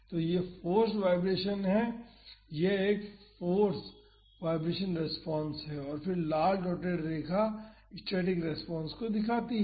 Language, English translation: Hindi, So, this is the force vibration, this one force vibration response and again the red dotted line shows the static response